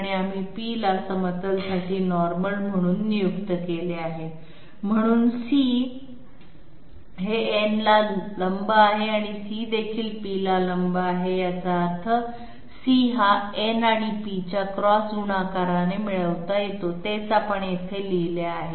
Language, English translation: Marathi, And we have designated small p as a normal to the plane, so C is perpendicular to to n and C is also perpendicular to p, which means that C can be obtained by cross product of n and p and that is what we have written here